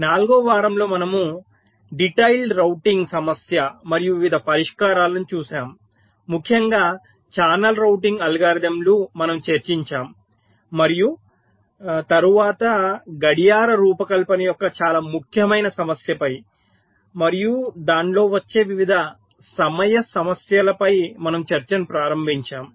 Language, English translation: Telugu, during the fourth week we looked at the detailed routing problem and the various solutions, in particular the channel routing algorithms we have discussed, and then we started our discussion on the very important issue of clock design and the various timing issues that come there in